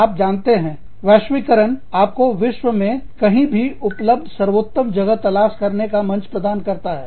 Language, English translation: Hindi, You could, you know, it globalization, gives you a platform, to look for the best available place, anywhere in the world